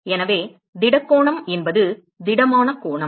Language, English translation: Tamil, So, the solid angle is so that is the solid angle